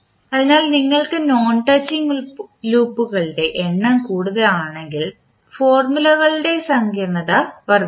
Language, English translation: Malayalam, So, if you have larger number of non touching loops the complex of the formula will increase